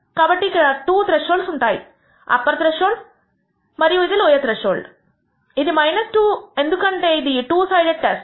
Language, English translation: Telugu, So, there are 2 thresholds the upper threshold which is 2 and the lower threshold which is minus 2 because it is a two sided test